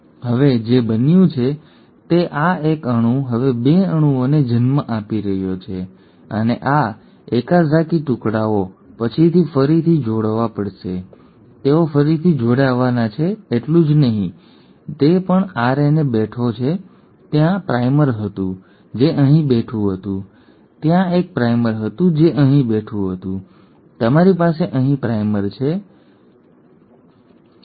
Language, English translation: Gujarati, Now, so what has happened, this one molecule is now giving rise to 2 molecules and these Okazaki fragments have to be later rejoined; not only are they supposed to be rejoined, whatever RNA which was sitting, there was primer which was sitting here, there was one primer which were sitting here, you have primers here, primers here, primer here